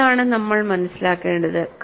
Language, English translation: Malayalam, This we will have to understand